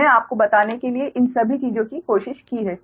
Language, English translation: Hindi, i have tried all these things to tell you right